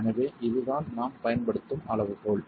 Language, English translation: Tamil, So this is the criterion that we use